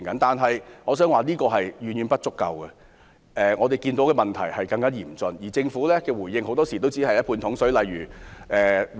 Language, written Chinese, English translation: Cantonese, 但是，我想指出，這是遠遠不足夠的，我們看到的問題更為嚴峻，而政府的回應很多時只是"半桶水"。, However I have to point out that this is far from enough . The problems are more serious now but the response of the Government is only half - baked in many cases